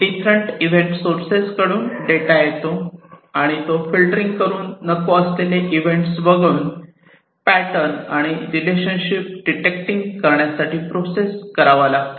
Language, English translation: Marathi, Data come from different event sources and this data will have to be processed, with respect to filtering out irrelevant events, with respect to detecting patterns and relationships, and adding context to the data